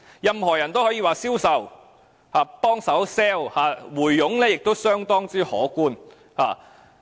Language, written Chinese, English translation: Cantonese, 任何人也可以銷售或幫助推銷龕位，而回佣亦相當可觀。, Any person can sell or assist in selling niches and the commissions involved are significant